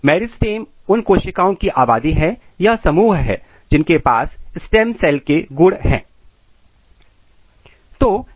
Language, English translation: Hindi, Meristem is a population of cells which has a stem cell property